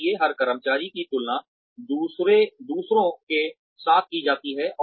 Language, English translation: Hindi, So, every employee is compared with others